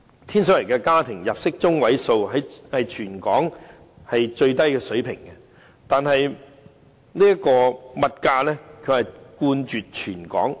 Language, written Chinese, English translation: Cantonese, 天水圍的家庭入息中位數屬全港最低水平，但物價卻冠絕全港。, The median household income of Tin Shui Wai is at the lowest end in the territory but the prices are the highest of all in Hong Kong